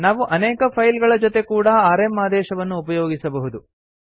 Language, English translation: Kannada, We can use the rm command with multiple files as well